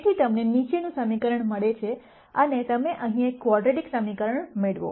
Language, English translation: Gujarati, So, you get the following equation and you get a quadratic equation here